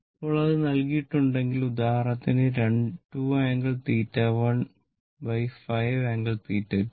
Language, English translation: Malayalam, Now, suppose if it is given for example, suppose 2 angle theta 1 divided by 5 angle theta 2